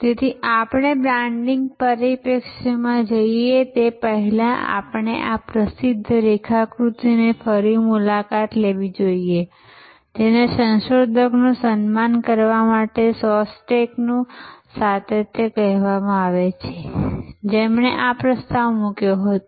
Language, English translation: Gujarati, So, before we go into the branding perspective we should revisit this famous diagram, which is called Shostack’s continuum to honour the researcher, who proposed this